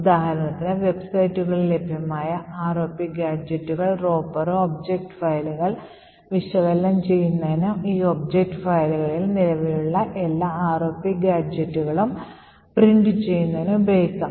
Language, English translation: Malayalam, For example, the tool ROP gadget and Ropper present in these websites can be used to analyse object files and print all the ROP gadgets present in these object files